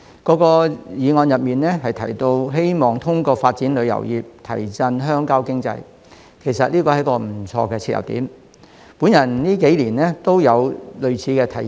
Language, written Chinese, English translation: Cantonese, 各議案提到希望通過發展旅遊業提振鄉郊經濟，其實這是一個不錯的切入點，我近幾年都有類似的提議。, Both of them have expressed the hope of boosting the rural economy through the development of tourism which actually is quite a desirable point for starting our discussion . I myself have also made similar proposals in recent years